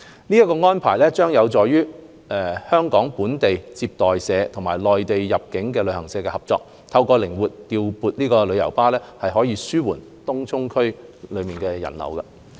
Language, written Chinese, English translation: Cantonese, 這項安排將有助香港本地接待社與內地入境旅行社合作，透過靈活調撥旅遊巴，紓緩東涌區內的人流。, This arrangement will help Hong Kong receiving travel agents and Mainland inbound travel agents establish cooperation so as to reduce the influx of visitors into Tung Chung through the flexible deployment of tour coaches